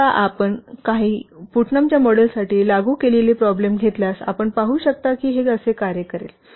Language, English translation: Marathi, So now if we will take the same problem that we have applied for Putnam's model you can see this will work like this